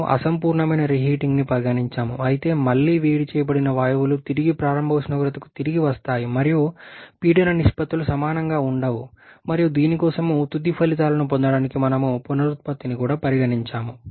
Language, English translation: Telugu, We are considered an imperfect reheating that and gases return back to the initial temperature and pressure ratios are not equal and also considered the regeneration to get the final results for this